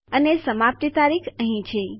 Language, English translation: Gujarati, And our expiry date here..